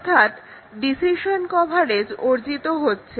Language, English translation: Bengali, So, decision coverage is achieved